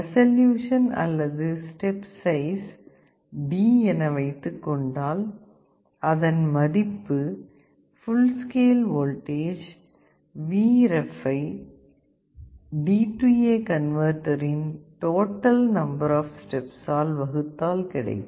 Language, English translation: Tamil, The step size or resolution if you call it Δ, this can be defined as the full scale voltage Vref divided by the total number of steps of the D/A converter